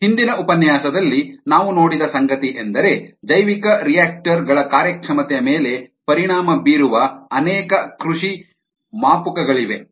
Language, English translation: Kannada, what we saw in the previous lecture ah was that there are ah many cultivation variables that impact the performance of bioreactors ah